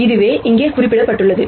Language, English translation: Tamil, Which is what has been represented here